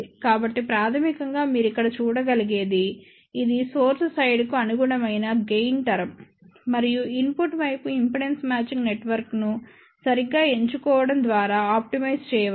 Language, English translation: Telugu, So, basically what you can see over here, this is the gain term corresponding to the source side and that can be optimized by properly choosing impedance matching network at the input side